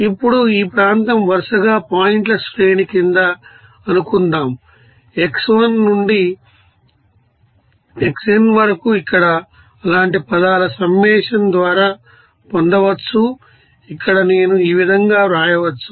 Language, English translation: Telugu, Now area suppose under the series of points, from x1 to xn that can be obtained by summation of such terms like here that can be written as here I as these